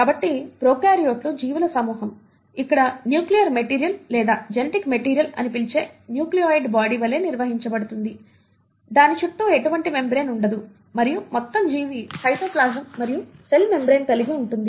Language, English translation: Telugu, So prokaryotes are a group of organisms where the nuclear material or the what you call as the genetic material is organised as a nucleoid body, it is not surrounded by any kind of a membrane and the whole organism consists of cytoplasm and a cell membrane